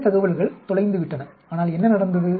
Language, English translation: Tamil, Some information is lost but, what has happened